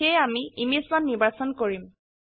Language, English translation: Assamese, So, I will choose Image1